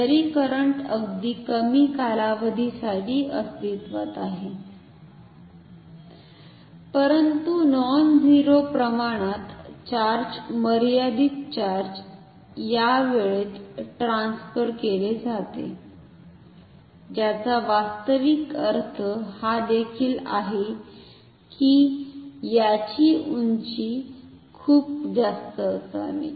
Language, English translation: Marathi, Although, the current exists for a very short duration, but a finite amount of a nonzero amount of charge is transferred within this time, which also actually means; that the height of this should be very high